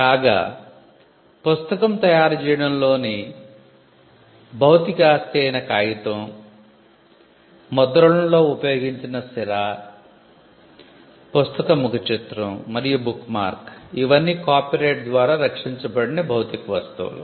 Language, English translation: Telugu, Whereas, the physical property in the book itself says the pages, the ink used in printing, the cover and the bookmark are all physical goods which are not protected by the copyright regime